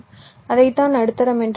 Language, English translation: Tamil, thats what we call as medium